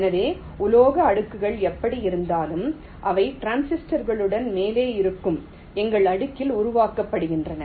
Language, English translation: Tamil, so the metal layers are anyway, means, ah, they are created on our layer which is above the transistors